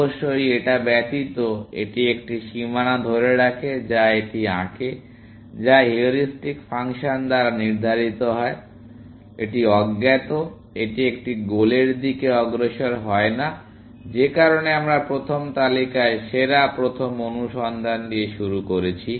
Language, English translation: Bengali, Except of course, it retains a boundary that it draws, which is determined by the heuristic function, it is uninformed; it does not move towards a goal, which is why, we started with best first search in the first list